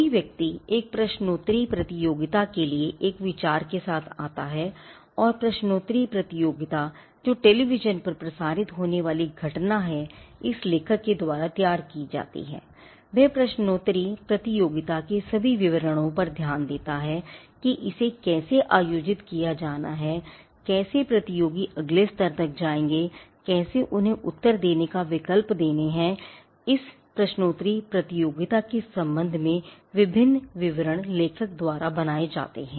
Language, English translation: Hindi, Someone comes with an idea for a quiz competition and the quiz competition which is meant to be a broadcasted event over the television is now been devised by this author and he captures all the details of the quiz competition how it has to be conducted how the candidates will move to the next level how to choose how to give them options to come up with the answers various details with regard to this quizzing event is developed by the author